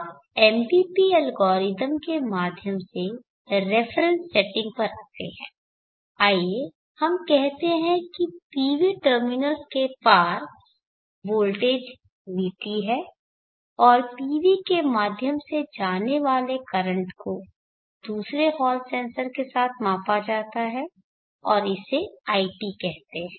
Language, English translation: Hindi, Now coming to reference setting through the MPP algorithm let us say the voltage across the PV terminals is Vt and the current through the PV is measured with another hall censors let us say and is called It